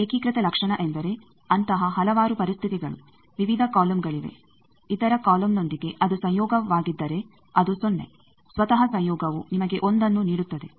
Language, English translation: Kannada, Unitary property means there will be various such conditions, various columns all there with other column if it is conjugate it is 0 with itself conjugation gives you 1